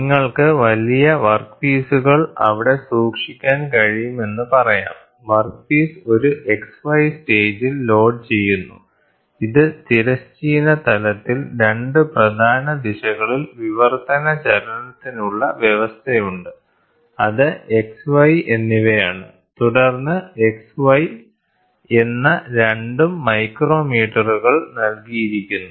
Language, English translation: Malayalam, So, Z so; that means, to say you can keep a large workpieces there, the workpiece is loaded on an XY stage, which has a provision for translatory motion in 2 principal directions in the horizontal plane that is X and Y and then it the micrometres are provided for both X and Y